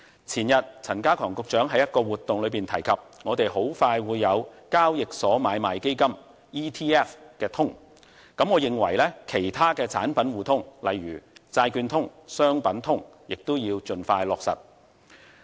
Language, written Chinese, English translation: Cantonese, 前天陳家強局長在一項活動中提及，我們很快會有交易所買賣基金通，我認為其他的產品互通，例如債券通，商品通等亦要盡快落實。, Few days ago Secretary Prof K C CHAN mentioned on an occasion that ETF Connect for exchange traded funds will be put in place very soon . I think mutual market access for other products such as for bonds and funds should be implemented as soon as possible